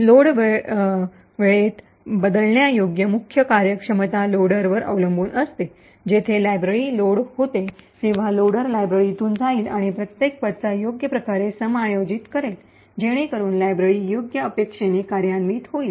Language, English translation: Marathi, In the Load time relocatable the main functionality rests with the loader, where, when the library gets loaded, the loader would pass through the library and adjust each address properly, so that the library executes in the right expected manner